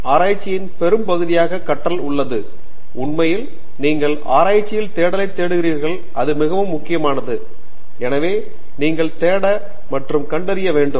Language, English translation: Tamil, Big integral part of research is learning; that is a very important part in fact you see the term search in research so you have to search and discover